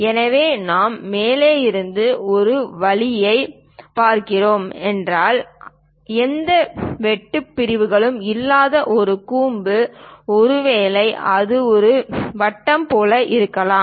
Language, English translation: Tamil, So, if we are looking at a view all the way from top; a cone without any cut sections perhaps it might looks like a circle